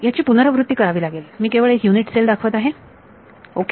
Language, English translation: Marathi, So, it is a repeating grid I am just showing one unit cell ok